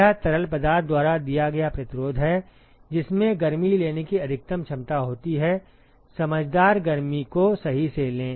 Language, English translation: Hindi, It is the resistance offered by the fluid which has a maximum capacity to take heat, take sensible heat right